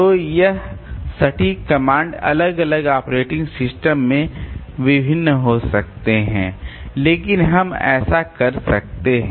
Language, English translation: Hindi, So, again this exact comments may vary from operating system to operating system but we can do that